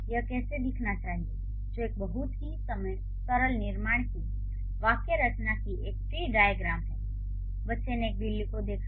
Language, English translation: Hindi, So, now this is how it should look like, which is a tree diagram of a syntactic structure of a very simple construction, the child, saw or cat